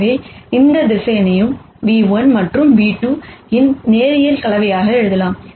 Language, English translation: Tamil, So, any vector can be written as a linear combination of nu 1 and a nu 2